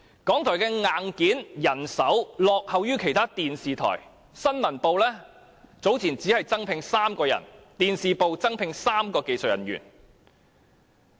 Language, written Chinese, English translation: Cantonese, 港台的硬件和人手落後於其他電視台，新聞部早前只增聘3人，電視部增聘3名技術人員。, RTHK lags behind other television broadcasters both in terms of hardware and manpower with the Newsroom taking on only three new recruits and the TV Division hiring three additional technicians some time ago